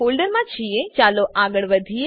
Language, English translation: Gujarati, Now that we are in that folder, lets move ahead